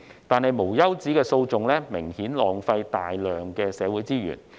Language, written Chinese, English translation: Cantonese, 但是，無休止的訴訟明顯浪費大量社會資源。, However the endless lawsuits would obviously waste a large amount of social resources